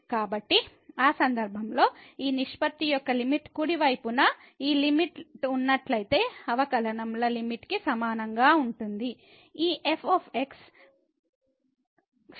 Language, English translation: Telugu, So, in that case the limit of this ratio will be equal to the limit of the derivatives provided this limit on the right hand this exist